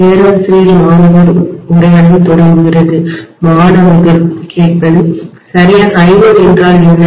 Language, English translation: Tamil, “Professor student conversation begins” What exactly is I1